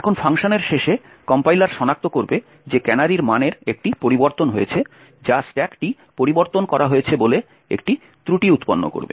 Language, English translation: Bengali, Now at the end of the function the compiler would detect that there is a change in the canary value that is it would throw an error that and that it will throw an error stating that the stack has been modified